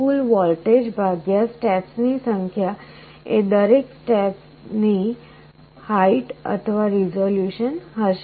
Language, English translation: Gujarati, So, the total voltage divided by the number of steps will be the height of every step or resolution